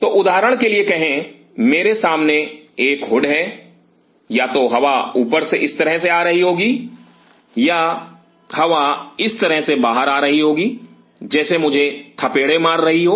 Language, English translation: Hindi, So, say for example, this is a hood in front of me either the air will be coming out from the top like this or the air will be coming out like this pretty much hitting me